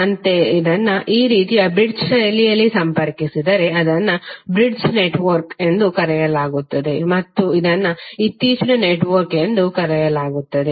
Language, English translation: Kannada, Similarly, if it is connected in bridge fashion like this, it is called bridge network and this is called the latest network